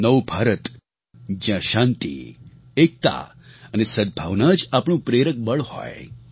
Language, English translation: Gujarati, New India will be a place where peace, unity and amity will be our guiding force